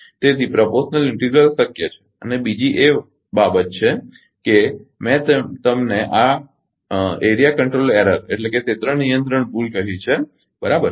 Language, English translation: Gujarati, So, proportional integral is possible and second thing is I told you this area control error, right